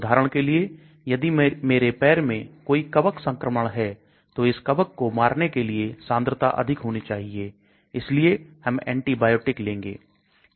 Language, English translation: Hindi, For example, I have a fungal infection in my foot, so the concentration at the foot should be higher so that it kills the fungus , so I take an antibiotic